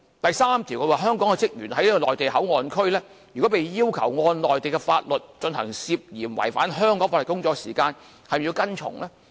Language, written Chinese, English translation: Cantonese, 第三，如果香港職員在內地口岸區被要求按照內地法律，進行涉嫌違反香港法律的工作時，他們是否要跟從呢？, The third question if staff from the Hong Kong side are instructed to perform tasks in the Mainland port area according to Mainland laws under suspicion that such tasks may violating laws in Hong Kong do they have to follow the instruction?